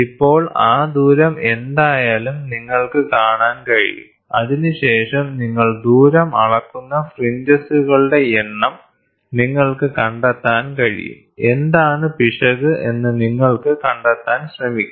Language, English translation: Malayalam, So now, you can see that distance whatever it is and then you can the number of fringes distance what you measure, you can try to find out what is the error